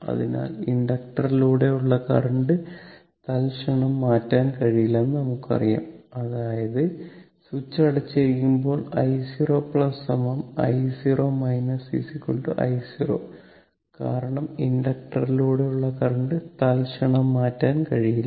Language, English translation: Malayalam, So, we know that current through inductor cannot change instantaneously; that means, at the time of switch, at the time switch is closed i 0 plus is equal to i 0 minus is equal to i 0 because current through inductor cannot change instantaneously